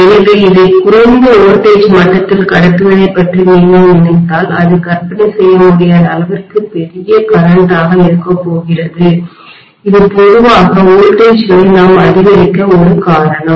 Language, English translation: Tamil, So if you think of transmitting this at lower voltage level, it is going to be unimaginably large current that is a reason why we step up generally the voltages